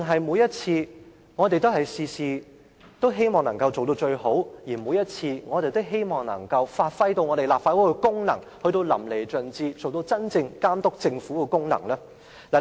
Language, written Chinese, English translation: Cantonese, 還是我們凡事都想做到最好，每次都希望把立法會的功能發揮到淋漓盡致，達到真正監督政府的目的呢？, Or do we just want to exert our utmost to do everything and fully perform the function of the Legislative Council on every occasion to really achieve the purpose of monitoring the Government?